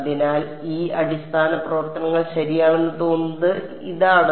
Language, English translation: Malayalam, So, this is what these basis functions look like ok